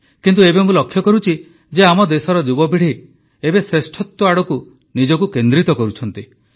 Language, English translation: Odia, But now I'm noticing my country's young minds focusing themselves on excellence